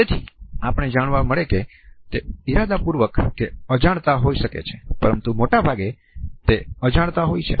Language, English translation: Gujarati, So, we would find that it can be intentional and it can also be unintentional though most of the time, it is unintentional